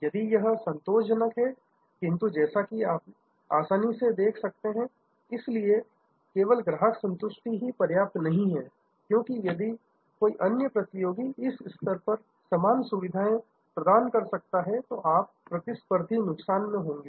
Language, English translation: Hindi, So, it is satisfactory, but as you can easily see therefore, just customer satisfaction is not enough, because if somebody else a competitor can provide at this level, then you will be at a competitive disadvantage